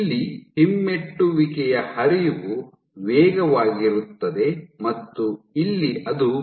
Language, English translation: Kannada, So, here retrograde flow is fast here it is slow